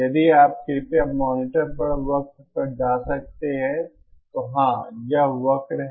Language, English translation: Hindi, If you could shift to the curve on the monitor please